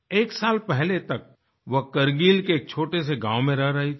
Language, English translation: Hindi, Until a year ago, she was living in a small village in Kargil